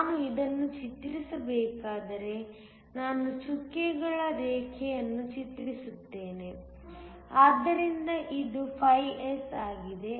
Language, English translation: Kannada, If I were to draw this, let me just draw a dotted line, so, that this is φS